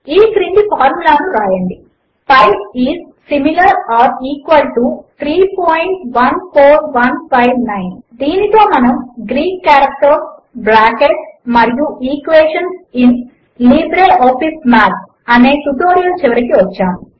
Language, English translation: Telugu, Write the following formula: pi is similar or equal to 3.14159 This brings us to the end of this tutorial on Greek Characters, Brackets and Equations in LibreOffice Math